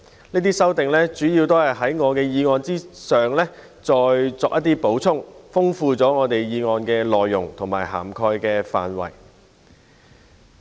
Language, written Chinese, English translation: Cantonese, 這些修訂主要是在我的議案上再作補充，豐富了議案的內容和擴闊了涵蓋範圍。, Their amendments mainly seek to supplement my motion enrich its content and expand its scope